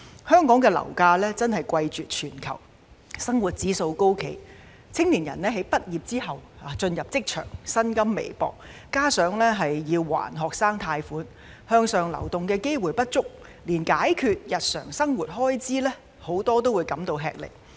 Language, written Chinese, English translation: Cantonese, 香港樓價真的貴絕全球，生活指數高企，青年人在畢業後進入職場，薪金微薄，加上要償還學生貸款，向上流動機會不足，很多人連解決日常生活開支也感到吃力。, Property prices in Hong Kong are the highest in the world and the cost of living index remains high . Young people however can only earn meager salaries when they enter the workforce upon graduation . Worse still they will have to repay their student loans and there is a lack of opportunities for upward mobility